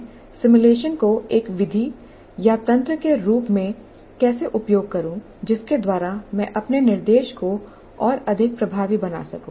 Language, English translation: Hindi, How do I use the simulation as a method or a mechanism by which I can make my instruction more effective